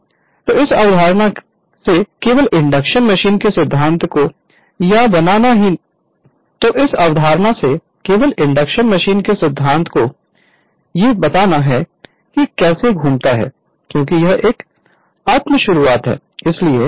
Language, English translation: Hindi, So, from this only from this concept only the principle of induction machine has come that how it rotates because it is a self starting so we will we will come to that right